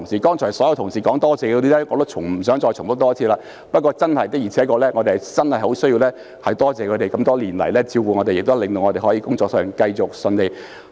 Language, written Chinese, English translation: Cantonese, 剛才所有同事說多謝的人，我也不想重複一次。不過，我們真的十分需要多謝他們這麼多年來照顧我們，令我們可以繼續順利工作。, I am not going to repeat the thanks to all those who have just received thanks from colleagues but we really need to thank them for taking care of us and hence enabling us to keep on working smoothly over so many years